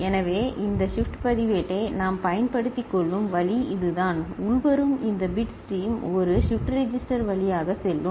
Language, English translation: Tamil, So, that is the way we can make use of this shift register where the incoming this bit stream will pass through a shift register